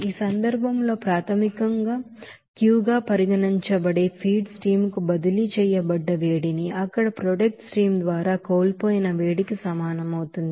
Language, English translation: Telugu, So in this case heat transferred to the feed stream basically considering as Q and that will be is equal to heat lost by the product stream there